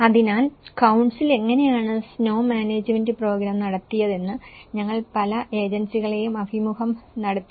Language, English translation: Malayalam, So, there we have interviewed many agencies, how the snow management program has been conducted by the council